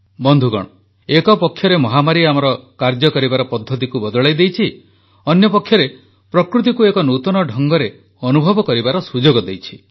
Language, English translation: Odia, Friends, the pandemic has on the one hand changed our ways of working; on the other it has provided us with an opportunity to experience nature in a new manner